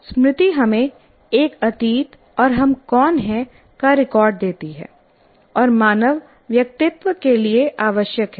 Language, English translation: Hindi, So memory gives us a past and a record of who we are and is essential to human individuality